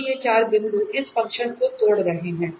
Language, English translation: Hindi, So, these are the four points were this function break down